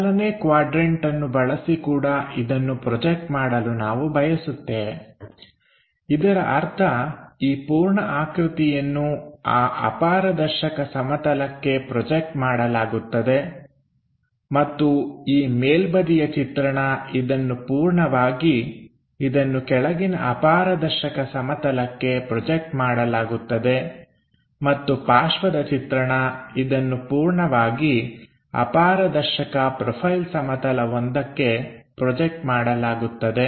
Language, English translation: Kannada, So, using first quadrant thus also we would like to project it; that means, this entire thing projected onto that opaque plane and this top view entirely projected onto bottom opaque plane and side view entirely projected onto profile plane opaque one and we have to flip in such a way that front view top view comes at bottom level